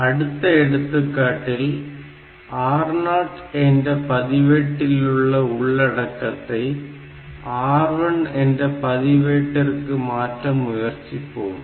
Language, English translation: Tamil, The next example that we look into is to transfer the content of register R 0 to R 1